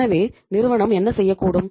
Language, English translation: Tamil, So what the firm can do